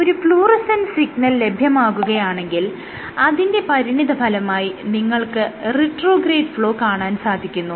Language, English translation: Malayalam, So, if you had a fluorescent signal then, what you would have as a consequence, you have a retrograde flow is you will have a slope which you can draw